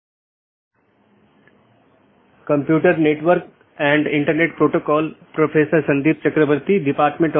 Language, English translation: Hindi, Welcome back to the course on Computer Networks and Internet Protocols